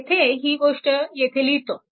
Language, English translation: Marathi, So, this thing I am writing there